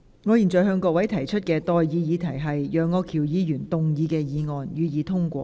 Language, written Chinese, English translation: Cantonese, 我現在向各位提出的待議議題是：楊岳橋議員動議的議案，予以通過。, I now propose the question to you and that is That the motion moved by Mr Alvin YEUNG be passed